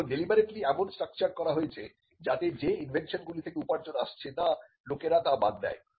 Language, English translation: Bengali, Now, this is deliberately structured in such a way that people would abandon inventions that are not generating revenue